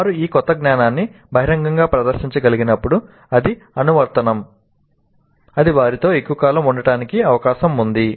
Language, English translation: Telugu, When they are able to publicly demonstrate this new knowledge in its application, it is likely that it stays with them for much longer periods